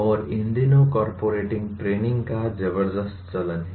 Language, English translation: Hindi, And there is a tremendous amount of corporate training these days